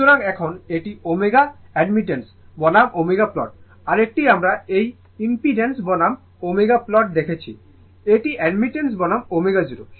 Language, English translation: Bengali, So, now, this is your omega admittance versus omega plot other one we saw this impedance versus omega plot this is admittance versus and this is your omega 0 right